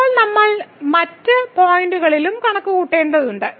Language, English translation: Malayalam, Now we have to also compute at other points